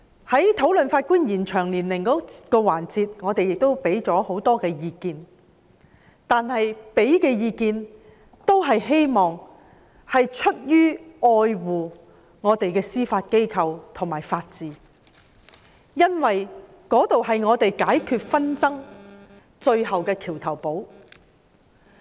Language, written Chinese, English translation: Cantonese, 在討論延展司法人員退休年齡的環節中，我們提供了很多意見，都是出於愛護本港的司法機構及法治，因為那兒是我們解決紛爭最大的橋頭堡。, In the course of discussing the agenda item concerning the extension of retirement age of judicial officers we have provided a lot of advice out of our love to the judicial institutions and the rule of law in Hong Kong because they form the bridgehead for defence in the resolution of conflicts